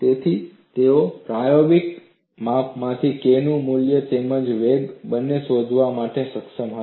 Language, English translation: Gujarati, So, they were able to find out from the experimental measurement, both the value of K as well as the velocity